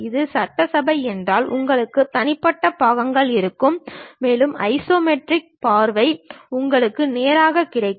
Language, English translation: Tamil, If it is assembly you will have individual parts and also the isometric view you will straight away get it